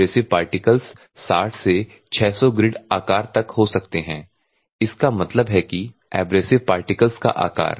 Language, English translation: Hindi, The abrasive content can vary from 50 percent abrasive particles can vary from 60 to 600 grid size